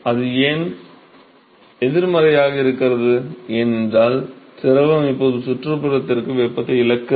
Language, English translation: Tamil, Why it is negative, because fluid is now loosing the heat to the surroundings right